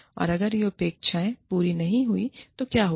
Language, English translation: Hindi, And, what will happen, if these expectations are not met